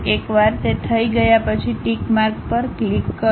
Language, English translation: Gujarati, Once it is done click the tick mark